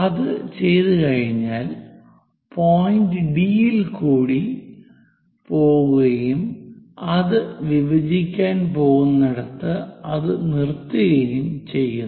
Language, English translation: Malayalam, Once it is done from D point, we have to go along that stop it where it is going to intersect 2